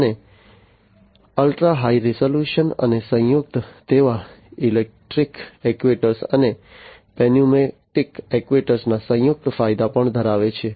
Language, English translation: Gujarati, And ultra high resolution and combined, they also have the combined advantages of the electric actuators and the pneumatic actuator